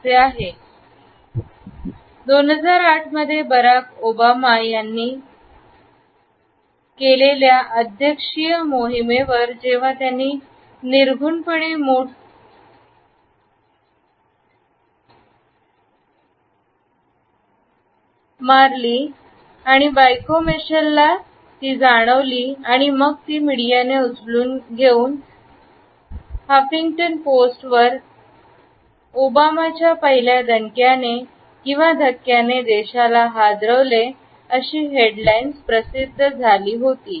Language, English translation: Marathi, It was popularized in the 2008 presidential campaign by Barack Obama, when he nonchalantly fist bumped his wife Michelle and then it was taken up by the media and the Huffington post had exclaimed that Obama’s fist bump rocks the nation as a headline